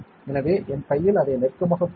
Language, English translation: Tamil, So, in my hand let us look at it in close